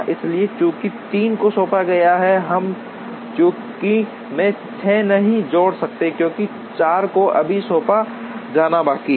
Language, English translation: Hindi, So, since 3 is assigned we cannot add 6 into the list, because 4 is yet to be assigned